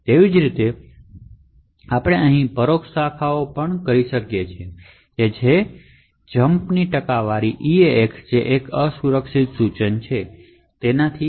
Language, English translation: Gujarati, Similarly, we could have indirect branches such as jump percentage eax over here which is also an unsafe instruction